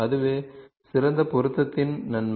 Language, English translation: Tamil, That is the advantage of best fit